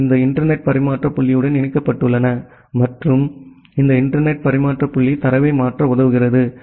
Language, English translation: Tamil, They are connected to this internet exchange point and this internet exchange point, helps you to transfer the data